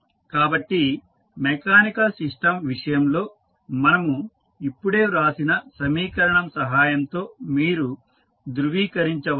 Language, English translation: Telugu, So, you can cross verify with the help of the equation which we just written in case of the mechanical system